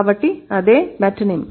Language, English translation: Telugu, So, that is metonym